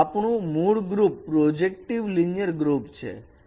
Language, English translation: Gujarati, So our parent group is a projective linear group